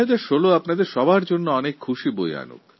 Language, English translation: Bengali, May 2016 usher in lots of joys in your lives